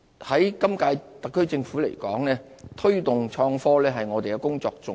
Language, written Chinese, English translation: Cantonese, 就本屆政府而言，推動創科是我們的工作重點。, To the current - term Government the promotion of innovation and technology is one of our work priorities